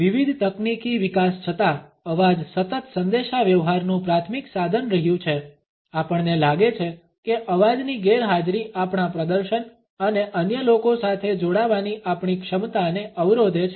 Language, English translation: Gujarati, Voice continuous to remain the primary tool of communication despite various technological developments, we find that the absence of voice hampers our performance and our capability to interconnect with other people